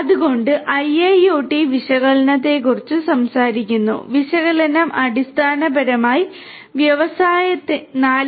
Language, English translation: Malayalam, So, talking about IIoT analytics; analytics basically is a core component for industry 4